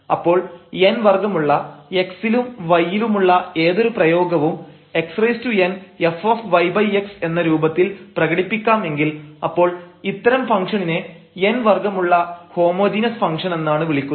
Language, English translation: Malayalam, So, any expression here in x and y of order n, if it can be expressed in this form that x power n n some function of y over x then we call such a function of homogeneous function of order n